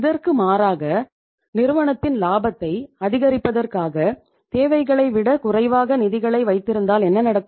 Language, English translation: Tamil, Contrary to this, if you keep the funds means the lesser than the requirements so as to increase the profitability of the firm